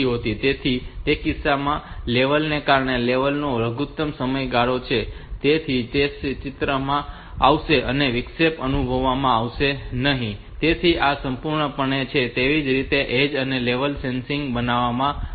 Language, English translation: Gujarati, So, in that case that level since it is the minimum duration of level so that will come into picture to interrupt will not be sensed that way so this is this is important, so that is why it is it has been made both edge and level sensitive